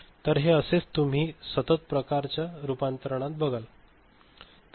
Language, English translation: Marathi, So, this is what you would see for a continuous type conversion ok